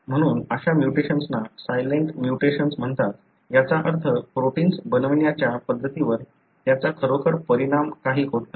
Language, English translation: Marathi, So, such mutations are called as silent mutation, meaning it does not really affect the way the protein is being made